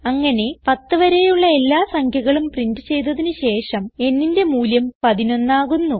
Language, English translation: Malayalam, And so on till all the 10 numbers are printed and the value of n becomes 11